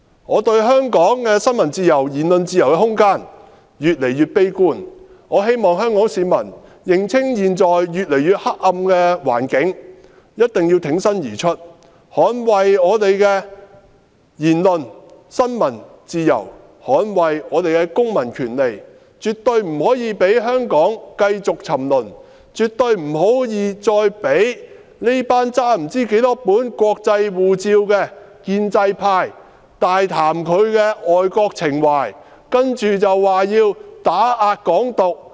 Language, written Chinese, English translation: Cantonese, 我對香港的新聞自由和言論自由的空間越來越悲觀，我希望香港市民認清現在越來越黑暗的環境，挺身而出，捍衞我們的言論和新聞自由，捍衞我們的公民權利，絕對不可以讓香港繼續沉淪，絕對不可以再讓這群不知道手執多少本外國護照的建制派大談他們的愛國情懷，接着說要打壓"港獨"......, I feel increasingly pessimistic about the room for freedom of the press and freedom of speech in Hong Kong . I hope that Hong Kong people will see clearly for themselves that the environment is getting darker and thus they should stand up to defend Hong Kongs freedom of speech freedom of the press and our civil rights . We should definitely not allow Hong Kong to continue to degenerate nor allow those pro - establishment Members who are holding many foreign passports to vehemently talk about their patriotic sentiments and call for the suppression of Hong Kong independence I am not talking about you Mrs IP dont be so agitated